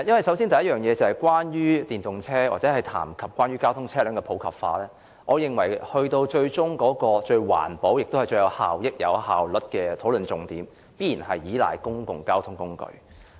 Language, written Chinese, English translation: Cantonese, 首先，關於電動車或談及關於推廣電動車輛的普及化問題，我認為最終最環保、最有效益及最有效率的討論重點，必然是倚賴公共交通工具。, First regarding the debate on the use of electric vehicles EVs or promoting the popularization of EVs I think the focus of our discussion should be on the reliance of public transport which is ultimately the most environmental - friendly effective and efficient mode of transport